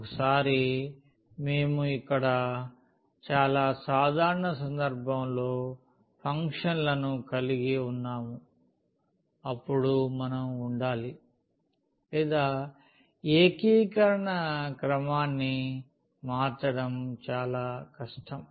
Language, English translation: Telugu, Once we have the functions here as above in a very general case then we have to be or it is more difficult to change the order of integration